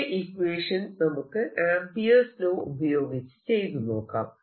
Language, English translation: Malayalam, let us do the same calculation using amperes law